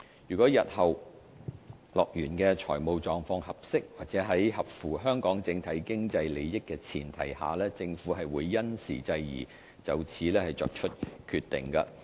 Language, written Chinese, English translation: Cantonese, 若日後樂園的財務狀況合適及在符合香港整體經濟利益的前提下，政府會因時制宜，就此作出考慮。, We will consider this option in the future as and when HKDLs financial positions are suitable and it is in the overall economic interests of Hong Kong